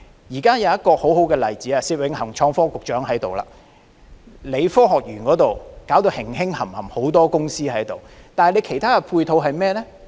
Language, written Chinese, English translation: Cantonese, 現在有一個很好的例子——創新及科技局局長薛永恒在這裏——科學園的發展如火如荼，有很多公司進駐，但有何其他配套呢？, Now let me cite a very good example . Well the Secretary for Innovation and Technology Alfred SIT is here . While the Science Parks development is in full swing with many companies having moved in what are the ancillary facilities available there?